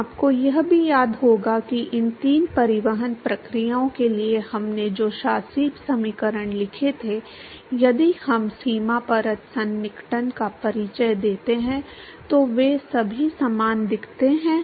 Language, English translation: Hindi, Now, you may also recall that the governing equations that we wrote for these three transport processes if we introduce the boundary layer approximation they all looks similar right